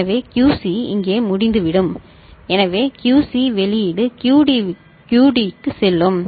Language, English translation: Tamil, So, QC will be over here so QC output will go to the QD